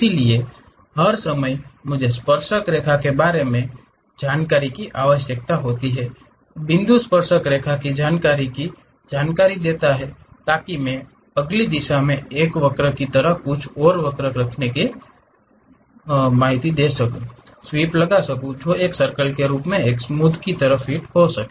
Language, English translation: Hindi, So, all the time I need information about tangent, the point information the tangent information so that I can sweep in the next direction to represent something like a curve which can be fit in a smooth way as circle